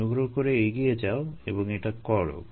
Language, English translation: Bengali, please go a head and do this